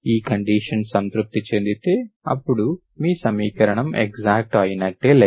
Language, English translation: Telugu, If this condition is satisfied, then also the equation is exact